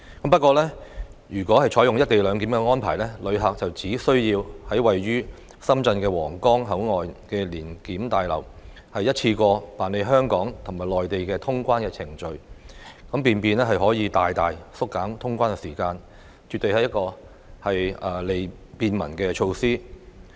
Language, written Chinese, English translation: Cantonese, 不過，如果採用"一地兩檢"安排，旅客只需要在位於深圳的皇崗口岸聯檢大樓一次過辦理香港和內地的通關程序，便可以大大縮減通關時間，絕對是一項便民措施。, However if the co - location arrangement is adopted passengers just need to go through the clearance procedures of both Hong Kong and the Mainland in one go at the Huanggang Port Joint Inspection Building in Shenzhen so the time needed for customs clearance will be greatly reduced . It is definitely a measure that makes life easier for the public